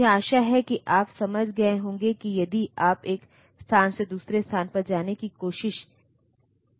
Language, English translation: Hindi, So, I hope you understand that if you are trying to jump from one location to another